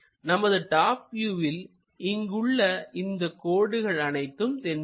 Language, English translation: Tamil, From top view, we will see this line, we will see this line, and this one